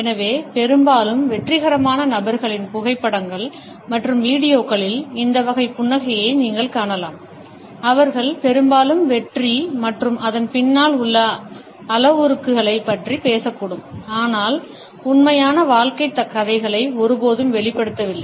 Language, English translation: Tamil, So, often you would find this type of a smile in the photographs and videos of highly successful people, who may often talk about success and the parameters behind it, yet never revealed the true life stories